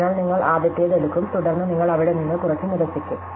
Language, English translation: Malayalam, So, you will take the first one, then you will rule out a few from there